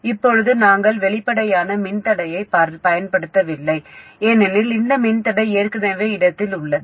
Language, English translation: Tamil, Now we didn't use an explicit resistor because this resistor is already in place